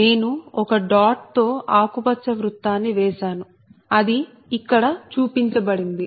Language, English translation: Telugu, you see, i made a green circle with a dot right, it is shown here